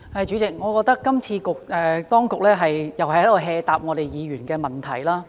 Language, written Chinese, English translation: Cantonese, 主席，我覺得當局今次又是隨便回答議員的問題。, President I think this time the authorities are not serious in answering Members questions again